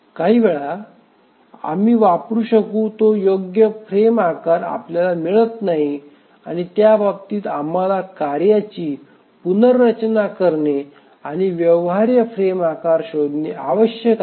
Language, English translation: Marathi, Sometimes we don't get correct frame size that we can use and in that case we need to restructure the tasks and again look for feasible frame size